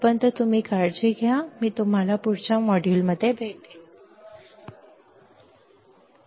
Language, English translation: Marathi, Till then you take care, I will see you next module, bye